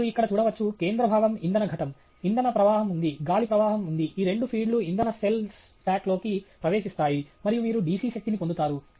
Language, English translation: Telugu, You can see here the central part is a fuel cell; there is a fuel stream that’s coming in; there is an air stream that’s coming in; both of these feed into the fuel cell stack and then you get DC power out